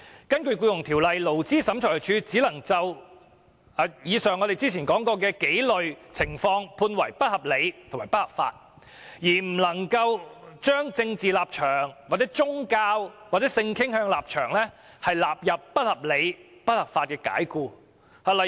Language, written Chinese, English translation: Cantonese, 根據《僱傭條例》，勞資審裁處只能裁定以上提及的幾類情況為不合理及不合法解僱，而不能把因為政治立場、宗教和性傾向而解僱員工的情況裁定為不合理及不合法解僱。, Under the Employment Ordinance the Labour Tribunal may only rule that there is an unreasonable and unlawful dismissal in the circumstances mentioned earlier . Dismissal for political stance religion or sexual orientation cannot be ruled as unreasonable and unlawful dismissal